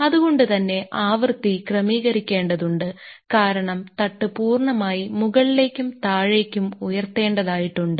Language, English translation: Malayalam, So, the frequency has to be adjusted because it the inter bed has to be lifted up and down